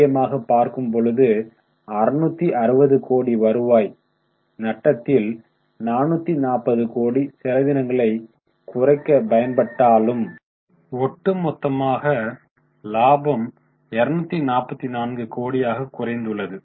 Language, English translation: Tamil, If you look at the absolute amounts, you can understand 660 crore loss of revenue, of which 440 was made up by reduction in expenses, but overall reduction in profit by 244 crore